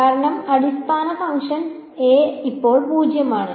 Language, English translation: Malayalam, Because basis function a is 0 by now